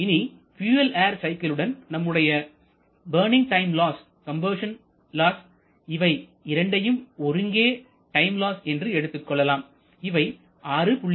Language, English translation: Tamil, Now with that fuel air cycle we have to add this burning time loss and incomplete combustion loss these 2 together can be referred as a time loss of about 6